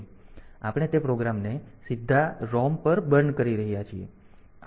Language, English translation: Gujarati, So, we can burn those programs to the ROM directly